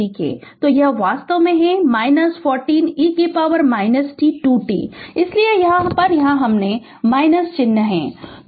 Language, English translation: Hindi, So, that is actually minus 40 e to the power minus 2 t that is why this minus sign is here